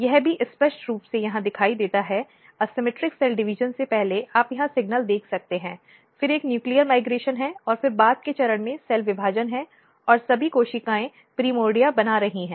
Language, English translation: Hindi, This is also clearly visible here before asymmetric cell division you can see here the signal then there is a nuclear migration and then at later stage there is cell division and all the cells are making the primordia